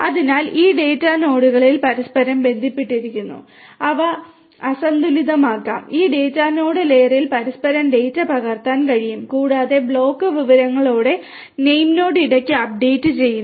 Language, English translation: Malayalam, So, this data nodes also are interconnected with each other, they can imbalance, they can replicate the data across each other in this data node layer and they update the name node with the block information periodically